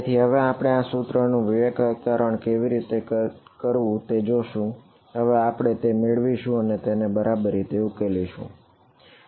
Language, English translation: Gujarati, So, now we will look at how to discretize this equation, now that we have got it and solve it ok